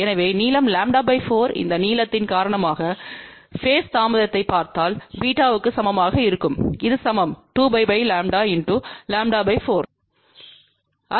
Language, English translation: Tamil, So, length lambda by 4 if you look at the phase delay because of this length will be equal to beta, which is equal to 2 pi by lambda into lambda by 4